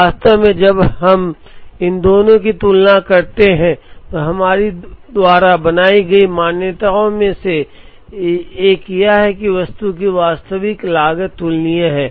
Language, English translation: Hindi, In fact, one of the assumptions that we made here when we compare these two is that, the actual cost of the item is comparable